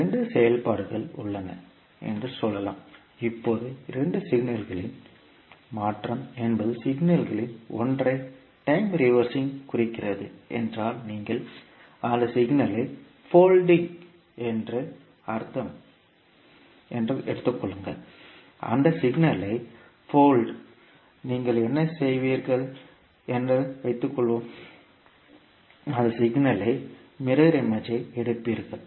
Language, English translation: Tamil, Let us say that there are two functions, one is let us say is function like this and second is function like this, now when we say the convolution of two signals means time reversing of one of the signal means you are folding that signal so when you, suppose if you fold that signal, what you will do, you will take the mirror image of that signal